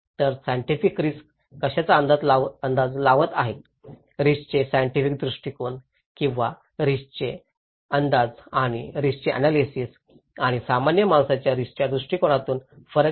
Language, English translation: Marathi, So, there is a difference between what scientists are estimating the risk, the scientific perspective of the risk or estimation of risk and analysis of risk and the common man’s perspective of risk